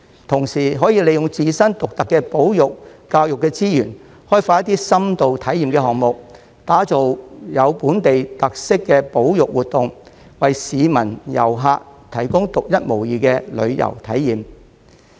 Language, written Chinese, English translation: Cantonese, 同時可以利用自身獨特的保育、教育資源，開發一些深度體驗項目，打造具本地特色的保育活動，為市民和遊客提供獨一無二的旅遊體驗。, At the same time by making use of its unique conservation and education resources OP can develop some in - depth experiential programmes and design conservation activities with local characteristics to provide unique tourism experiences for the public and visitors